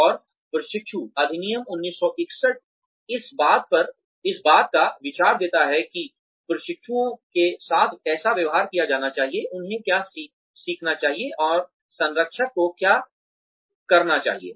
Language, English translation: Hindi, And, apprentices act 1961, gives an idea of, how the apprentices should be treated what they should learn and, what the mentor should be doing